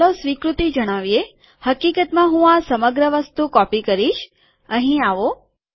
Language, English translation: Gujarati, Lets acknowledge, in fact let me just copy the whole thing, come here